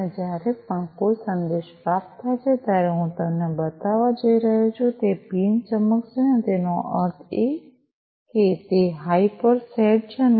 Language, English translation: Gujarati, And every time a message is received, the led pin that I am going to show you is going to glow; that means, it is set to high and